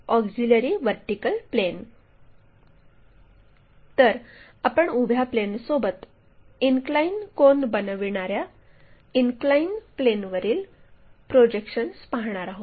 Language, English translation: Marathi, So, we are going to take projections onto that inclined plane that inclined plane making inclination angle with vertical plane